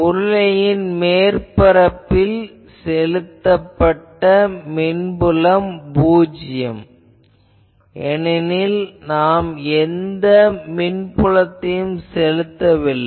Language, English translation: Tamil, On the cylinder on the cylindrical surface I can say applied electric field is 0, because we are not applying any electric field there